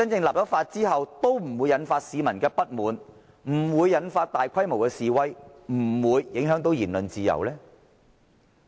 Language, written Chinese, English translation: Cantonese, 立法後是否不會引發市民不滿、不會引發大規模示威，以及不會影響言論自由呢？, Is it that no public discontent would be aroused no large - scale demonstration would be triggered and the freedom of speech would remain unaffected after the enactment of the legislation?